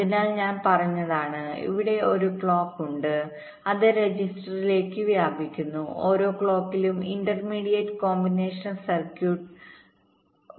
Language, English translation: Malayalam, so what i said is that there are, there is a clock which is spread to the registers and at every clock, data shifts from one register to the next through the, through the intermediate combinational circuit